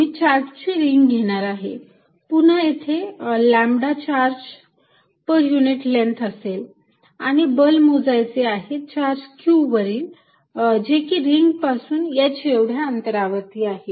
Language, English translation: Marathi, I am going to take a ring of charge, again having lambda charge per unit length and calculate force on a charge q kept at a distance h from the ring